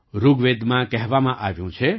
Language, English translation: Gujarati, In Rigveda it is said